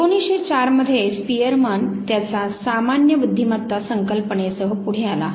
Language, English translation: Marathi, 1904, when Spearman came forward with his concept of general intelligence